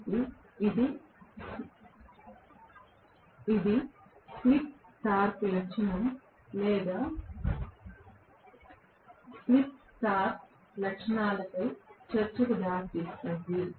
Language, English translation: Telugu, So, that leads us to the discussion on slip torque characteristic or speed torque characteristics